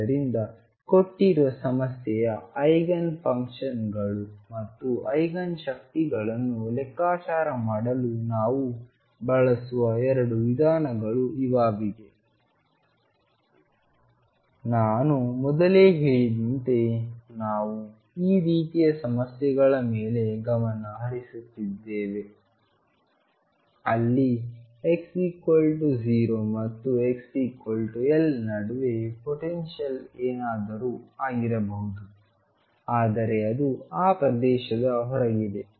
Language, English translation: Kannada, So, these are going to be the 2 methods which we use in calculating the eigenfunctions and Eigen energies of a given problem a right now as I said earlier we have occurring on problems where the potential could be anything between x equals 0 and x equals l, but it is going to be infinity outside that region